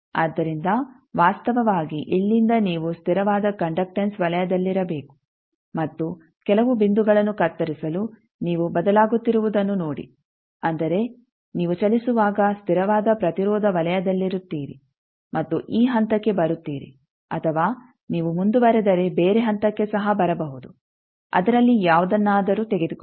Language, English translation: Kannada, So, from this actually from the from here you should be on the constant conductance circle and see that you change to cut some point that means, you are on a constant resistance circle while move and come to either this point, or you can also if you proceed you can come at some other point take any of that